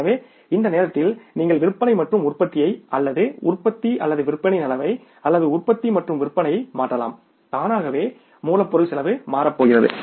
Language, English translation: Tamil, So, the movement you change the level of sales and production or a production of say production and sales automatically the raw material cost is going to change